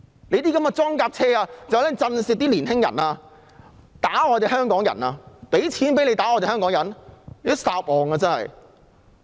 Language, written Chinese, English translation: Cantonese, 那些裝甲車是用來震懾年青人、打香港人的，還要我們付錢讓他們打香港人嗎？, Those armoured personnel carriers are used to intimidate young people and attack Hong Kong people . Are they asking us to pay them to attack Hong Kong people?